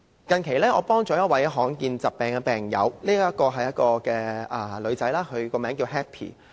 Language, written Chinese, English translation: Cantonese, 近期我幫助了一名罕見疾病的病友，她是一名女孩子，名為 Happy。, Recently I have helped a patient suffering from a rare disease a girl called Happy